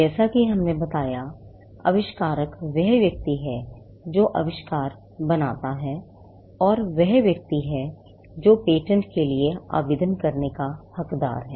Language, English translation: Hindi, As we mentioned, the inventor is the person who creates the invention and he is the person who is entitled to apply for a patent